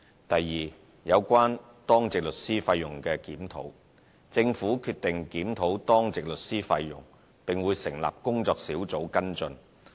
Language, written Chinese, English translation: Cantonese, 第二，有關當值律師費用檢討：政府決定檢討當值律師費用，並會成立工作小組跟進。, The second aspect is the review of Duty Lawyer fees The Government has decided to conduct a review of duty lawyer fees and will set up a working group for the purpose